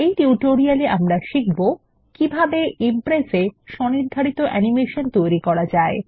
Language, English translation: Bengali, In this tutorial we will learn about Custom Animation in Impress